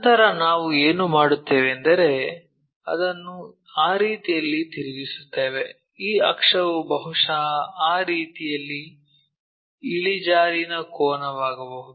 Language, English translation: Kannada, Then, what we will do is we will rotate it in such a way that this axis may an inclination angle perhaps in that way